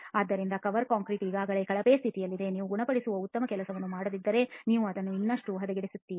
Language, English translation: Kannada, So the cover concrete is already in a poorer condition, if you do not do a good job of curing you are going to be making it worse